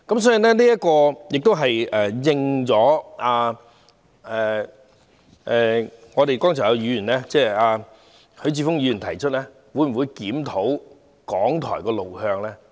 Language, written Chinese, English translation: Cantonese, 所以，這正正是剛才許智峯議員提出的，會否檢討港台的路向？, Therefore this is exactly the question of whether the way forward for RTHK will be reviewed which Mr HUI Chi - fung raised earlier